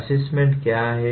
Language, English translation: Hindi, What is assessment